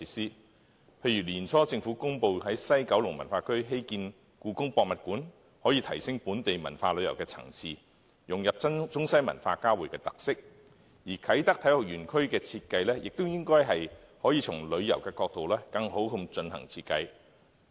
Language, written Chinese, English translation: Cantonese, 舉例而言，年初政府公布在西九文化區興建香港故宮文化博物館，便可以提升本地文化旅遊的層次，融入中西文化交匯的特色；而啟德體育園區亦應從旅遊的角度更好地進行設計。, For example the Hong Kong Palace Museum in the West Kowloon Cultural District announced early this year will greatly enhance the attraction of the local cultural tourism incorporating the features of the convergence of Chinese and Western cultures; and the design of the Kai Tak Sports Park should also be based on the perspective of tourism